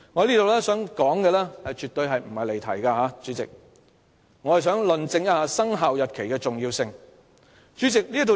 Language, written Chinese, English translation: Cantonese, 主席，我絕無離題，我只是想論證"生效日期"的重要性。, President I am absolutely not digressing from the subject I just want to prove the importance of commencement date